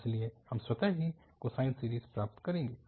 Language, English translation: Hindi, So, we will get automatically the cosine series